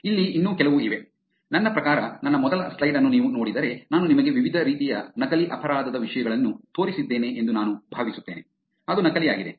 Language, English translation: Kannada, Here is few more, I mean I think if you look at my first slide where I showed you different types of fake crime things I was going to talk about, fake was that part